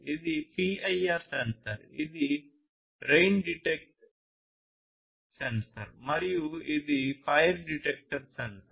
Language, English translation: Telugu, This is PIR sensor, this is rain detector sensor, and this is fire detector sensor